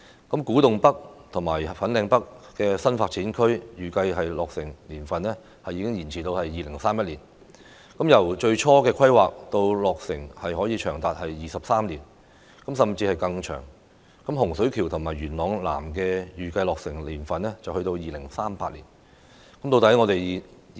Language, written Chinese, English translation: Cantonese, 古洞北和粉嶺北新發展區的預計落成年份已延至2031年，由最初規劃到落成長達23年，甚至會更長；洪水橋和元朗南的預計落成年份是2038年。, The anticipated year of completion for Kwu Tung North and Fanling North NDAs has been extended to 2031 which translates to a time span of 23 years or even longer from initial planning to completion while that for Hung Shui Kiu and Yuen Long South NDAs is 2038